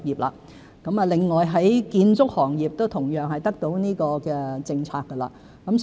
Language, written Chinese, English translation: Cantonese, 另外，建築業亦同樣受惠於有關政策。, In addition the construction industry will also benefit from the policy